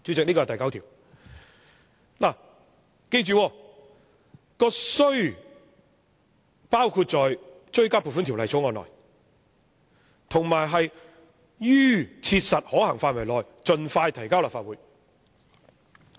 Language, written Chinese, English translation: Cantonese, 大家要記着，那"須"字是包括在追加撥款條例草案內，以及"於切實可行範圍內盡快提交立法會"。, Members should bear in mind that the word need is used for the introduction of the Supplementary Appropriation Bill under the condition as soon as practicable